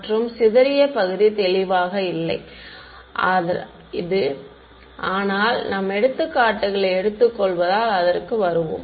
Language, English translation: Tamil, And the sparse part is not clear from this, but we will come to it as we take up examples ok